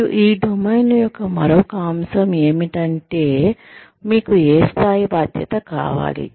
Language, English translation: Telugu, And, another aspect of this domain is, what level of responsibility, do you want